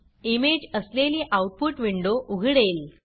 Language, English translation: Marathi, Our output window opens with the image